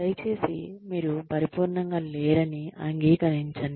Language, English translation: Telugu, Please admit, that you are not perfect